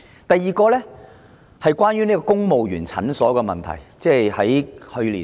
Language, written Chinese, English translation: Cantonese, 第二，關於公務員診所的問題。, The second point is about families clinics